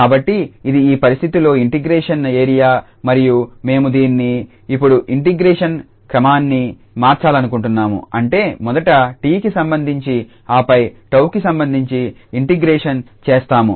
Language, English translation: Telugu, So, this so this is the area of integration in this situation and we want to change it now the order of integration that means the first with respect to t and then with respect to tau